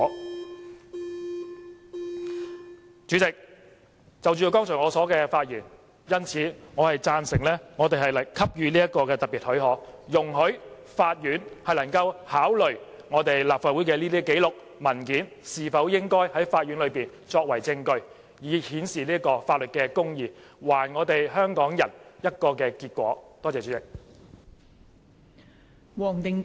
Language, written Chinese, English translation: Cantonese, 代理主席，就我剛才的發言，我贊成給予這項特別許可，容許法院能考慮我們立法會的這些紀錄和文件是否應在法院內作為證據，以顯示法律公義，還我們香港人一個結果。, Deputy President with respect to the speech I have just made I agree to grant special leave so that the Court can consider whether to admit these records and documents of the Council as evidence in order to manifest justice before the law and give Hong Kong people an answer